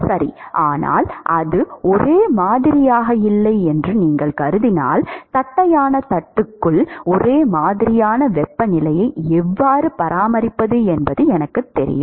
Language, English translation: Tamil, Right, but that is if you assume that it is not uniform I know how to maintain a uniform temperature inside the flat plate that is not arise